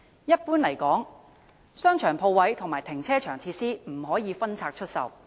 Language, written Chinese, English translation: Cantonese, 一般而言，商場鋪位和停車場設施不可分拆出售。, Generally speaking the commercial and car parking facilities shall not be disposed of except as a whole